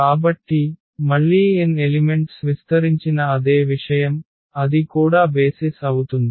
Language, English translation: Telugu, So, again the same thing spanning set with n elements so, that will be also the basis